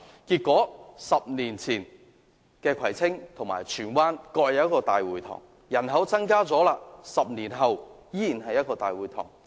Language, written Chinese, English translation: Cantonese, 結果 ，10 年前，葵青區及荃灣區各有一個大會堂 ；10 年後，雖然人口增加了，但卻依然只是各有一個大會堂。, As a result while Kwai Tsing and Tsuen Wan each has one town hall 10 years ago they still have only one town hall 10 years later in spite of an increase in population